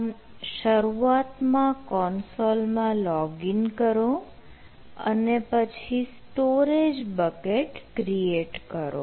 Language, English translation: Gujarati, so initially login to the console, then create storage bucket right